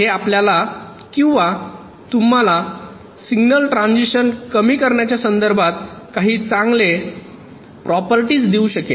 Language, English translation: Marathi, this can give you or give us some very good properties with respect to reducing signal transitions